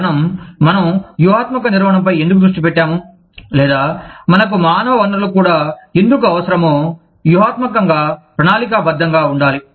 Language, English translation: Telugu, why we focus on strategic management, or, why we need human resources also, to be strategically planned